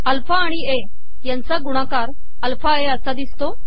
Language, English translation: Marathi, Says product of alpha and a is alpha a